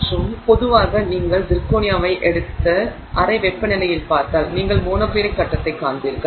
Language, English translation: Tamil, And but in general if you take zirconia and you look at it at room temperature you will find the monoclinic face